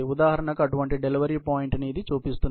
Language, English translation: Telugu, This, for example, shows such a delivery point